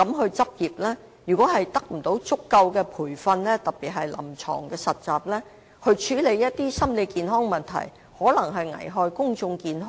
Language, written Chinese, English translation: Cantonese, 如果有關的畢業生在沒有得到足夠培訓，特別是臨床實習的情況下執業，處理心理健康的問題，便有可能危害公眾健康。, If these graduates not having adequate training especially in clinical practice deal with mental health problems they may jeopardize public health